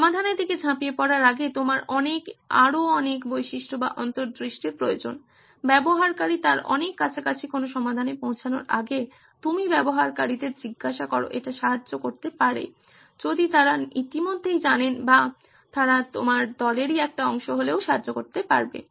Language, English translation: Bengali, You need many, many more features or insights before you jump to solutions, before you arrive at a solution which is closer to what your user probably wants and asking the user, It may help if they are already know or they are part of your team also it may help